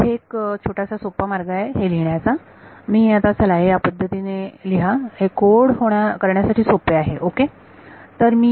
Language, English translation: Marathi, So, there is a little bit of a convenient way of writing this now let us try to write this in a way that is easier to code ok